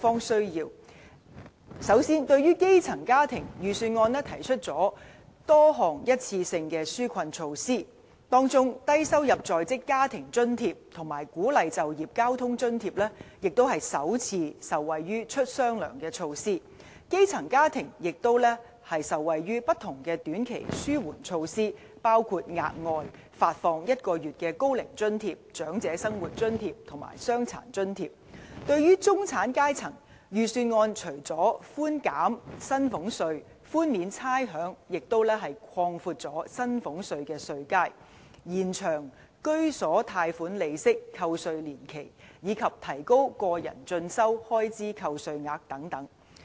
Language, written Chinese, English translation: Cantonese, 首先，對於基層家庭，預算案提出多項一次性的紓困措施，當中低收入在職家庭津貼和鼓勵就業交通津貼也首次受惠於"出雙糧"措施，基層家庭也受惠於不同的短期紓緩措施，包括額外發放1個月高齡津貼、長者生活津貼和傷殘津貼。對於中產階層，預算案除了寬減薪俸稅、寬免差餉，也擴闊薪俸稅的稅階，延長居所貸款利息扣除年期，以及提高個人進修開支的最高扣除額等。, First for grass - roots families the Budget has proposed many one - off relief measures in which recipients of Low - income Working Family Allowance and Work Incentive Transport Subsidy can benefit from the double payment measure for the first time while grass - roots families also benefit from various short - term relief measures including the provision of extra allowance equal to one month of Old Age Allowance Old Age Living Allowance and Disability Allowance . With regard to the middle class apart from reducing salaries tax and waiving rates the Budget has also proposed widening the marginal bands for salaries tax extending the entitlement period for tax reduction for home loan interest and raising the deduction ceiling for self - education expenses and so on